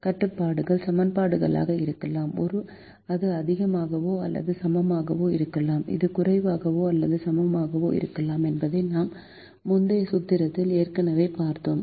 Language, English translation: Tamil, we have already seen in our earlier formulations that the constraints can be equations, it can be greater than or equal to, it can be less than or equal to